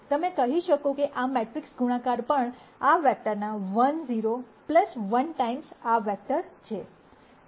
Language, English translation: Gujarati, You could say that this matrix multiplication is also one times this vector 1 0 plus 1 times this vector